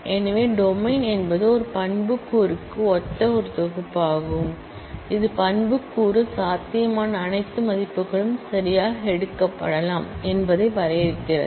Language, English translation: Tamil, So, the domain is a set corresponding to an attribute, which define that all possible values that attribute can take ok